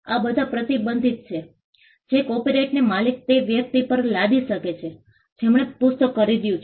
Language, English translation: Gujarati, All these are restrictions that the owner of the copyright can impose on a person who has purchased the book